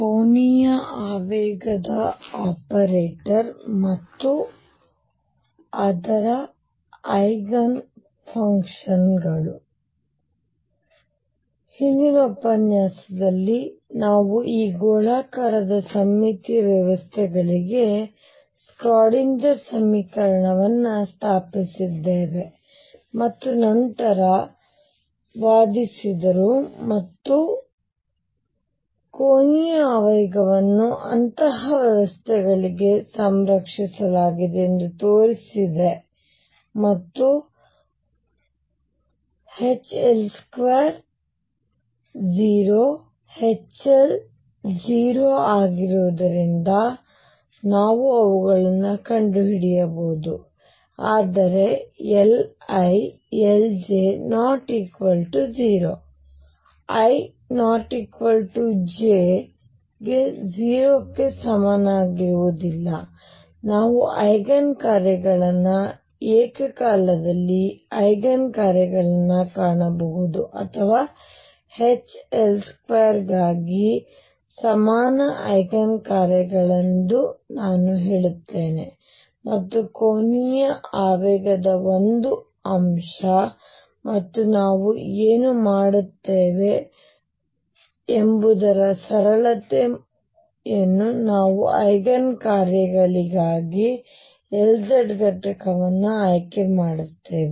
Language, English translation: Kannada, In the previous lecture, we set up the Schrodinger equation for this spherically symmetric systems and then argued and showed that the angular momentum is conserved for such systems and therefore, we can find them because of H L square being 0 H L being 0, but L i L j not being equal to 0 for i not equal to j, we can find the Eigen functions that are simultaneous Eigen functions or what I will say is common Eigen functions for H L square and only one component of the angular momentum and what we will do is because of the simplicity we will choose the L z component for Eigen functions